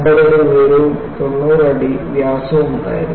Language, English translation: Malayalam, It was 50 feet tall and 90 feet in diameter